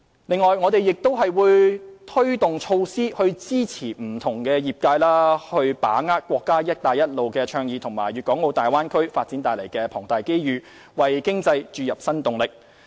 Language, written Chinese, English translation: Cantonese, 此外，我們亦會推動措施支持不同業界把握國家"一帶一路"倡議和粵港澳大灣區發展帶來的龐大機遇，為經濟注入新動力。, We will also take forward initiatives to support various sectors in seizing the many opportunities brought by the national Belt and Road Initiative and the Guangdong - Hong Kong - Macao Bay Area development thereby creating new impetus for our economy